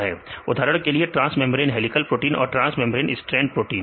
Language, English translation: Hindi, For example transmembrane helical proteins and the transmembrane strand proteins